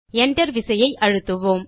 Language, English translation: Tamil, Press the Enter key on the keyboard